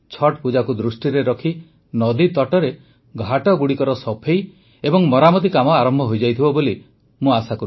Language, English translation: Odia, I hope that keeping the Chatth Pooja in mind, preparations for cleaning and repairing riverbanks and Ghats would have commenced